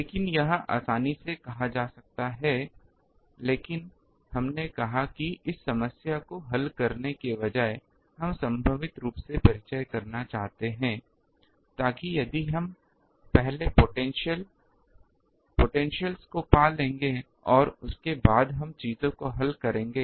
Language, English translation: Hindi, But this is easily said, but we said that instead of solving this problem we want to intermediately introduce the potential so that if we will first find the potential and after that we will solve the things